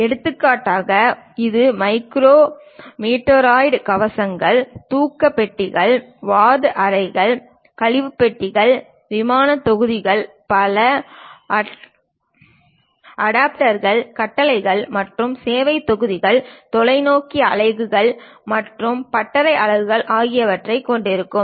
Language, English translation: Tamil, For example, it might be containing micro meteoroid shields, sleep compartments, ward rooms, waste compartments, airlock modules, multiple adapters, command and service modules, telescope units and workshop units